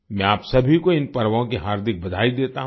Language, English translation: Hindi, I extend warm greetings to all of you on these festivals